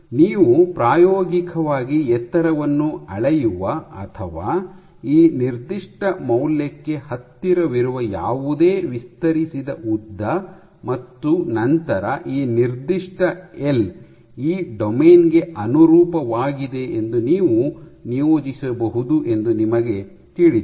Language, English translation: Kannada, Whichever unfolded length that you experimentally measure tallies or is closest to this particular value, and then you know you can assign that this particular L corresponds to this domain